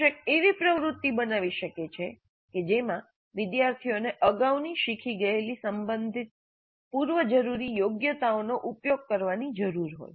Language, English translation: Gujarati, Teacher could create an activity that requires students to utilize the relevant prerequisite competencies that have been previously learned